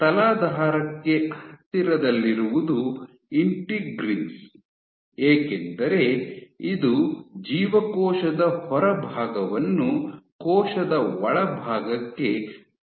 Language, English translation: Kannada, So, closest to the substrate is of course, the integrins because this is what engages the outside of the cell to the inside of the cell